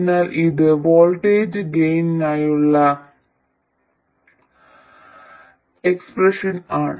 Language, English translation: Malayalam, So this is the expression for the voltage gain